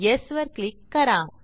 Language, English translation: Marathi, Click on Yes